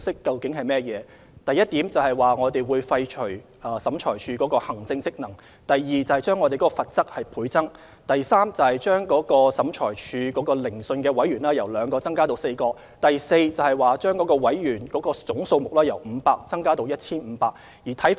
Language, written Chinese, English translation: Cantonese, 該等共識包括：第一，廢除審裁處的行政職能；第二，將有關罰則倍增；第三，將每次聆訊的審裁委員由兩名增至4名；第四，將審裁委員總人數由500增至 1,500。, They include first abolish the administrative function of OAT; second increase the maximum penalty by 100 % ; third increase the minimum number of adjudicators at each OAT hearing from two to four; and fourth increase the total number of adjudicators from 500 to 1 500